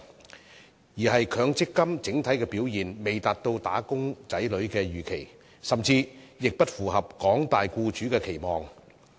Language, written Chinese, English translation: Cantonese, 反之，是強積金整體的表現未達到"打工仔女"所預期，甚至不符合廣大僱主的期望。, On the contrary the overall performance of MPF schemes has failed to meet the expectations of wage earners or even met the aspirations of employers in general